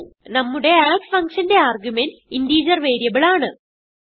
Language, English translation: Malayalam, And our add function has integer variable as an argument